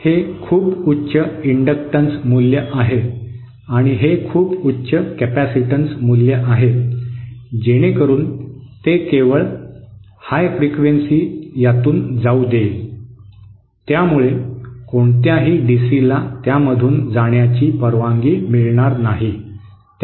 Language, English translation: Marathi, This is a very high inductance value and this is a very high capacitance value, so that it will allow only high frequency to pass through this, it will not allow any DC to pass through it